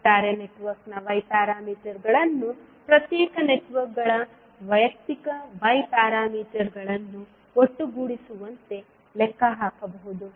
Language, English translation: Kannada, We can find out the Y parameter of the overall network as summation of individual Y parameters